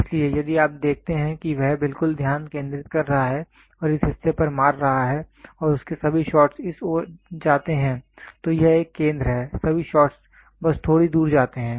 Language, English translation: Hindi, So, here if you see he is exactly focusing and hitting at this portion and all his shots go towards here, this is a center, all the shots go just little away